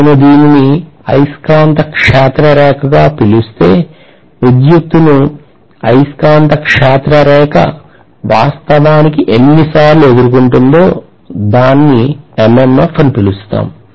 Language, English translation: Telugu, So if I call this as the magnetic field line, how many times the magnetic field line is encountering the current that is actually known as the MMF